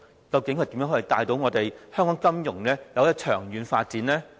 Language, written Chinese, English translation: Cantonese, 究竟他如何帶領香港金融長遠發展呢？, How is he going to lead the long - term financial development of the territory?